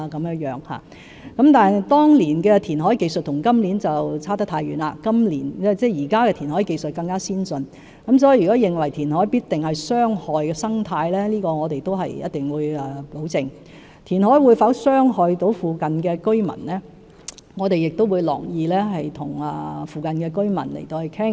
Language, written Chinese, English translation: Cantonese, 不過，當年的填海技術與現時的相差太遠，現時的填海技術更為先進，因此，如果認為填海必定會傷害生態，我們必定會保證不會這樣，而填海會否對附近居民造成傷害，我們亦樂意與附近居民討論。, Now the technologies in reclamation are much more advanced . Hence if there is such a view that reclamation will definitely harm the ecology we will certainly ensure that no such thing will happen . We are also most willing to discuss with the residents nearby the issue of whether reclamation will cause them any harm